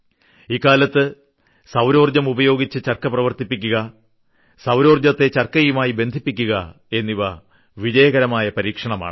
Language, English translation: Malayalam, Running charkha with solar and linking solar energy with Charkha have become a successful experiment